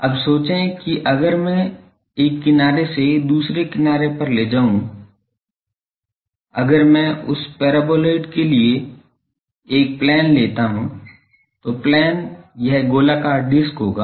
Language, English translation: Hindi, Now, think that if I take from one edge to other edge, if I take a plane that plane for the paraboloid it will be circular disk